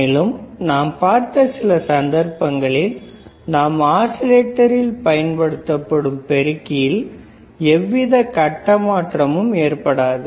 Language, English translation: Tamil, Then we have seen that there are some cases where your amplifier that we use in the oscillator will not give you any phase shift